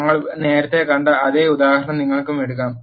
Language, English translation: Malayalam, You can take same example what we have seen earlier